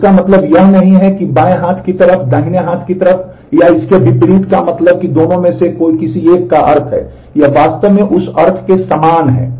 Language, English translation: Hindi, So, it does not mean that the left hand side implies the right hand side or vice versa it means that either of them implies the other, they are really equivalent in that sense